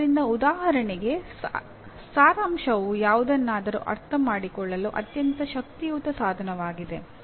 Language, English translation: Kannada, So, for example summarizing is a very powerful tool to understand